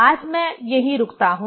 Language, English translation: Hindi, Today let me stop here